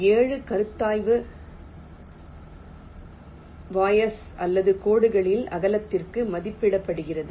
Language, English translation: Tamil, the seven consideration is rated to the width of the vias or the lines